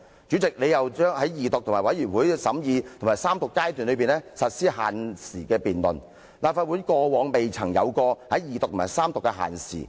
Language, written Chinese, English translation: Cantonese, 你又為《條例草案》的二讀、委員會審議和三讀階段實施限時辯論，但立法會過往從未就法案的二讀和三讀辯論設下時限。, In addition you set time limits for the debates on the Bill in respect of its Second Reading consideration by committee of the whole Council and Third Reading but no time limit had ever been set for the Second Reading and Third Reading debates on a bill in this Council before